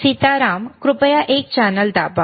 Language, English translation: Marathi, Sitaram, can you please press channel one